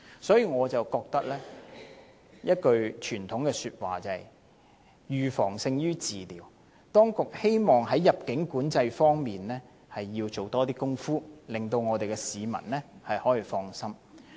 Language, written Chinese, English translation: Cantonese, 所以，我想起一句傳統的說話，就是"預防勝於治療"，希望當局在入境管制方面多做一些工夫，令市民可以放心。, This reminds me of the traditional saying that Prevention is better than cure . I hope that the authorities will put more effort in immigration control to set peoples mind at ease